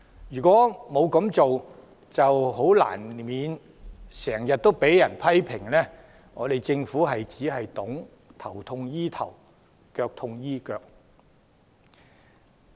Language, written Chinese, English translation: Cantonese, 如果沒有這樣做，難怪政府經常被批評為只懂得"頭痛醫頭，腳痛醫腳"。, If not no wonder the Government is often criticized for failing to make comprehensive planning